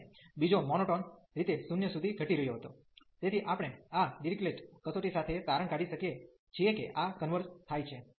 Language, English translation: Gujarati, And the second one was monotonically decreasing to 0, therefore we could conclude with the Dirichlet test that this converges